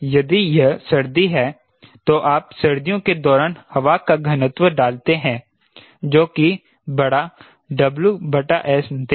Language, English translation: Hindi, if it is winter, then you put the density of air during winter with